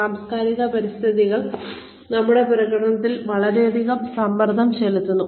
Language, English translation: Malayalam, Intercultural environments can place, a lot of stress, on our performance